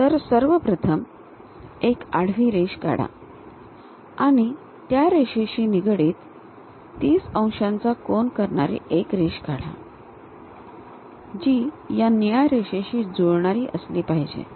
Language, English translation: Marathi, First draw a horizontal line, with respect to that horizontal line, construct a 30 degrees line that line matches with this blue line